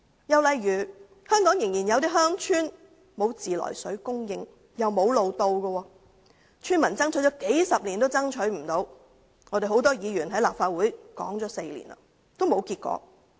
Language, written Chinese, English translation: Cantonese, 又例如香港有些鄉村仍然沒有自來水供應，亦無路可到達，村民爭取數十年也不成功，很多議員在立法會提出問題已經4年，仍沒有結果。, Another example is the unavailability of any mains water supply in some villages in Hong Kong which are also inaccessible by road . The villagers have striven for it for decades but in vain . A number of Members have raised the issue in the Legislative Council for four years but to no avail